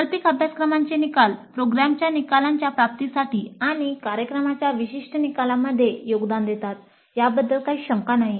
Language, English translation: Marathi, Now the outcomes of elective courses do contribute to the attainment of program outcomes and program specific outcomes